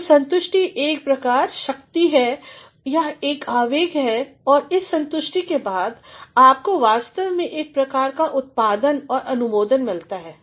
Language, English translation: Hindi, So, satisfaction is a driving force it is an impulse and after that satisfaction, you actually get a sort of output and approval